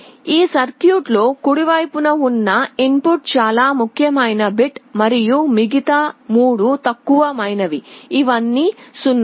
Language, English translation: Telugu, In this circuit the rightmost input is the most significant bit and the other 3 are the lower significant, these are all 0’s